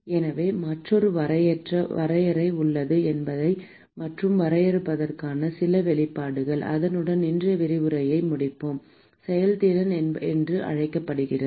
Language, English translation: Tamil, So, there is another definition; and some expression for the definition with that we will finish today’s lecture what is called the efficiency